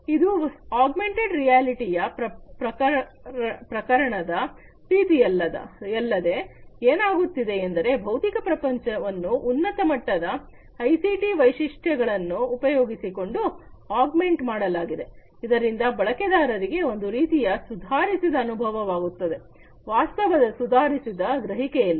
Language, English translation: Kannada, It you know unlike in the case of augmented reality, in augmented reality what is happening is the you know the physical world is augmented with certain you know high end ICT features, so that the user gets some kind of improved experience in improved perception of the reality